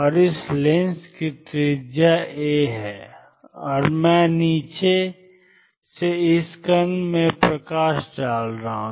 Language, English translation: Hindi, And the radius of this lens is a and I am shining light on this particle from below